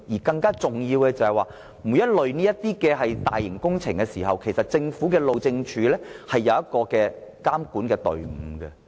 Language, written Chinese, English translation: Cantonese, 更重要的是，每當有這類大型工程施工，政府路政署都會成立監管隊伍。, More importantly the Highways Department HyD will establish supervisory teams for all major construction works